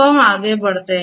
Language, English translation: Hindi, So, we will proceed further